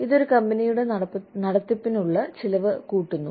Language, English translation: Malayalam, It adds, to the cost of running a company